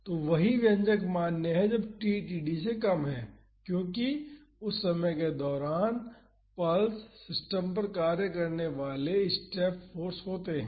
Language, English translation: Hindi, So, the same expression is valid when t is less than td, because at that time that is during the pulse the step forces acting on the system